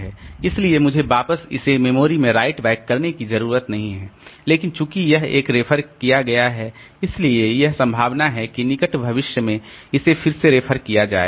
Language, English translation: Hindi, So, I don't have to write back and but since it is 1 it has been referred to so it is likely that it will be referred again in the near future